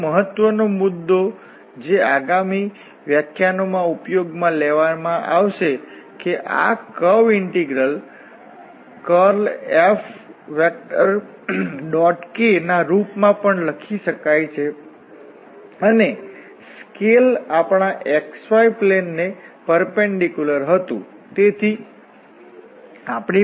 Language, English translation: Gujarati, Another important point which will be used in next lectures that this curve integral can be also written as in form of the curl F and the dot product with the k and the scale was the perpendicular to our xy plane